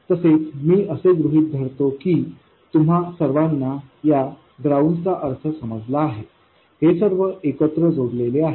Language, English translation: Marathi, By the way, I will assume that all of you understand the meaning of this ground, all of these are connected together